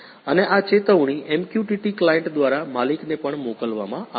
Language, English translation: Gujarati, And this alert also be sent to an owner, through MQTT client